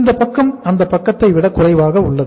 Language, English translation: Tamil, This side is shorter than this side